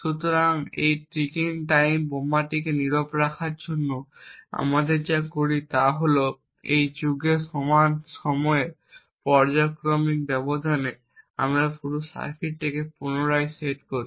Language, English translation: Bengali, So, in order to silence this ticking time bomb what we do is that at periodic intervals of time at periods equal to that of an epoch we reset the entire circuit that is we reset the power of the circuit